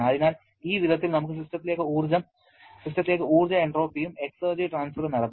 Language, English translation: Malayalam, So, this way with heat we can have energy entropy and exergy transfer into the system